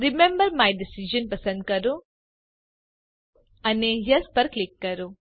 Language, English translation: Gujarati, Select remember my decision and click Yes